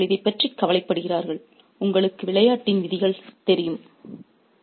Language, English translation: Tamil, So, they are worried about this, you know, rules of the game